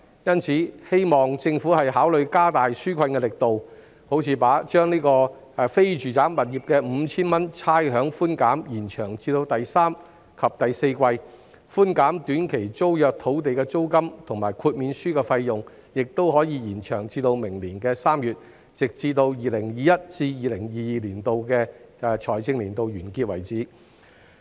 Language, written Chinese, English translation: Cantonese, 因此，我希望政府考慮加大紓困力度，例如把非住宅物業的 5,000 元差餉寬減延長至第三季及第四季，寬減短期租約土地租金及豁免書費用的措施，亦可延長至明年3月，直至 2021-2022 財政年度結束為止。, For this reason I hope the Government will consider increasing the magnitude of the relief measures such as by extending the provision of rates concession of 5,000 for non - domestic properties to the third and fourth quarters and extending the grant of rental or fee concession for short - term tenancies and waivers to March next year ie . until the end of the financial year 2021 - 2022